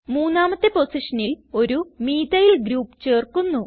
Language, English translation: Malayalam, Let us add a Methyl group to the third position